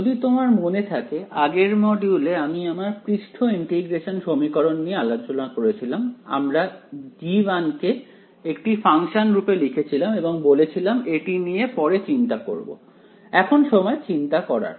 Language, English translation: Bengali, If you remember in the previous modules, we looked at the surface integral equations, we kept writing a g a function g and we said that we will worry about it later, now is when we worry about it right